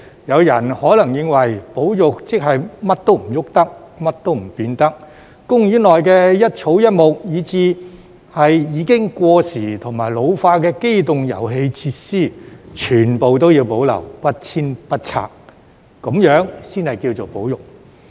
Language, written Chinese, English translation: Cantonese, 有人可能認為保育即是甚麼也不能動、甚麼也不能變，公園內的一草一木，以至已經過時和老化的機動遊戲設施，全部都要保留，不遷不拆，這樣才能稱為"保育"。, Some people may think that conservation means nothing can be moved or changed and all the grass and trees and even outdated and aged amusement facilities have to be preserved instead of being relocated or demolished . Only in this way can it be considered conservation